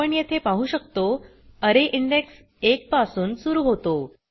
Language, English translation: Marathi, We can see here the array index starts from one